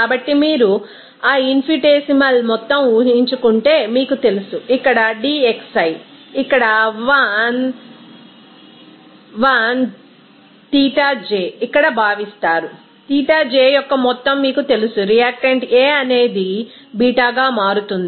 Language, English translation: Telugu, So, in this case, if you assume that infinitesimal amount of you know dxi here 1 Xij is considered here some this Xij amount of you know that reactant A that changes into B